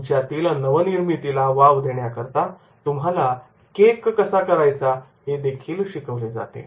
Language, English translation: Marathi, So, many times the creativity is also taught that is how to make a cake